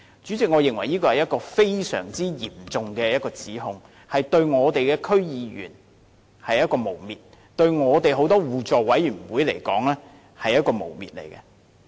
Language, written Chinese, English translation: Cantonese, 主席，我認為這是非常嚴重的指控，是對區議員的誣衊；對很多互委會而言，也是一種誣衊。, President I consider this a most serious accusation smearing DC members . It is also a kind of smear to many mutual aid committees